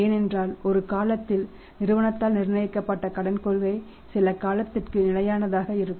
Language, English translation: Tamil, Because credit policy which was once decided by the firm which is fixed by the firm that remains fixed for for some period of time